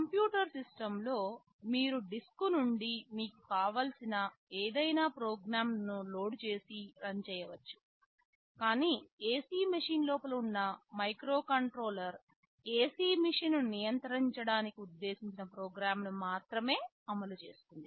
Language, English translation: Telugu, In a computer system you can load any program you want from the disk and run it, but a microcontroller that is sitting inside an AC machine will only run that program that is meant for controlling the AC machine